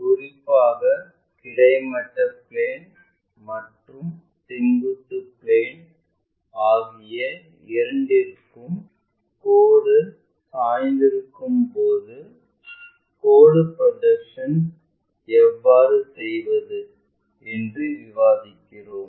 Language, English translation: Tamil, Especially, we are covering line projections when it is inclined to both horizontal plane and vertical plane